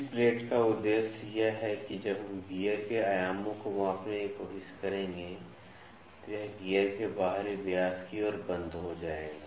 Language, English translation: Hindi, The purpose of this plate is that when we will try to measure the dimensions of the gear, this will lock towards the outer diameter of the gear